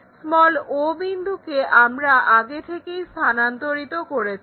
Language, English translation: Bengali, Already o point, we transferred it